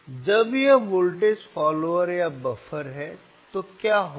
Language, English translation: Hindi, So, when it is a voltage follower or buffer, what will happen